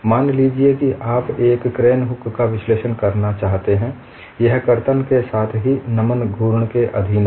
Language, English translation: Hindi, Suppose you want to analyze a crane hook, it is subjected to shear as well as bending moment